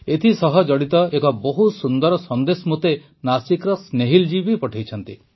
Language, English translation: Odia, Snehil ji from Nasik too has sent me a very good message connected with this